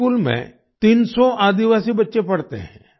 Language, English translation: Hindi, 300 tribal children study in this school